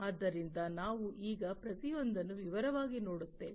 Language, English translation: Kannada, So, we will look at each of these in detail now